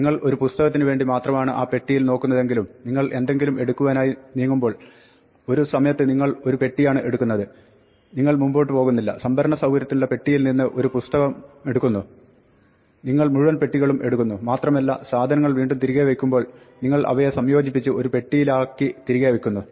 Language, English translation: Malayalam, Now, when you go and fetch something you bring a carton at a time even if you are only looking for, say one book in that carton, you do not go and fetch one book out of the carton from the storage facility, you bring the whole carton and then when you want put things back again you assemble them in a carton and put them back